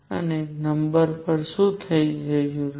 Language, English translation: Gujarati, And what is going to the number